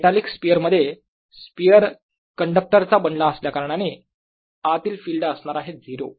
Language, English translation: Marathi, in a metallic sphere, because that's made of a conductor, the field inside would be zero, right